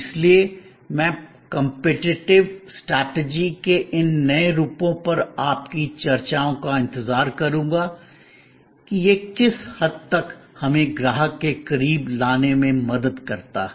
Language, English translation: Hindi, So, I would look forward to your discussions on these new forms of competitive strategy to what extend it helps us to get closer to the customer